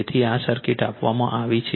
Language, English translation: Gujarati, So, this is the circuit is given